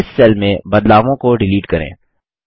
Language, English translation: Hindi, Let us delete the changes in this cell